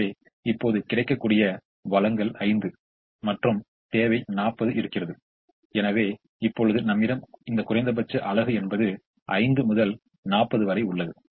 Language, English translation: Tamil, so now the available supply is five and the requirement is forty, and therefore you put the minimum between five and forty, which is five